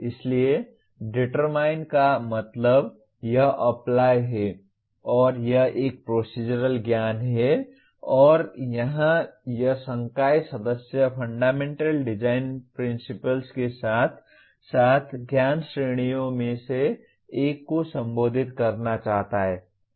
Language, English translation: Hindi, So determine means it is Apply and it is a Procedural Knowledge and here this faculty member wants to address Fundamental Design Principles as well as one of the knowledge categories